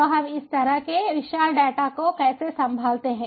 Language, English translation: Hindi, so how do we handle this kind of huge, ah, ah, data